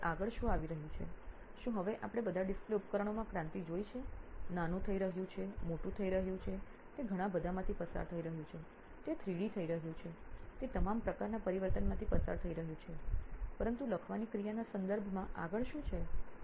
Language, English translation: Gujarati, Then what is next coming up next, is it so now we have all seen revolution in terms of display devices is getting smaller, is getting bigger, it is going through lots of, it is getting 3D, it is going through all sorts of transformation, but in terms of the act of writing what is next